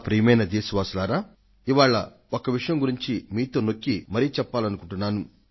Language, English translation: Telugu, My dear countrymen, today I want to make a special appeal for one thing